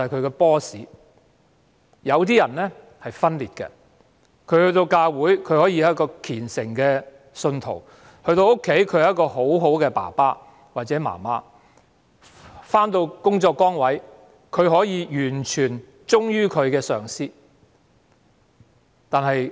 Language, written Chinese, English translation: Cantonese, 有些人可以分裂自己，在教會內可以是虔誠的信徒，在家中可以是模範父母親，在工作崗位上可以完全忠於上司。, Some people can divide themselves . They can be devout believers in the church they can be model parents at home and they can be completely loyal to their boss at work